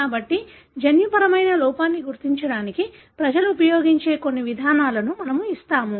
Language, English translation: Telugu, So, we will be giving some of the approaches people use to identify the gene defect